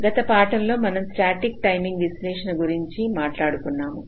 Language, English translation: Telugu, so in the last lecture we have been talking about static timing analysis